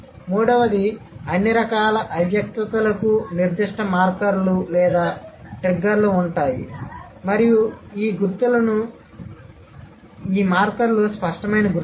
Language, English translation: Telugu, Third, all kinds of implicitness will have certain markers or triggers and these markers are the markers of explicitness